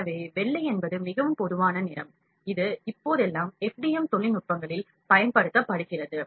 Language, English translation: Tamil, So, white is the most common color,that is used in FDM technologies nowadays